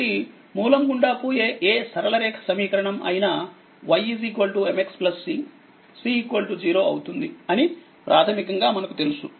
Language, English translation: Telugu, So, basically you know that any equation of a straight line passing through the origin y is equal to mx plus c